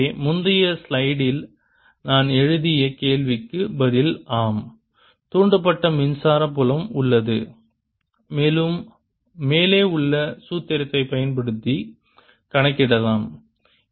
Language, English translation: Tamil, so to answer that i placed in the previous slide is yes, there is an induced electric field and can be calculated using the formula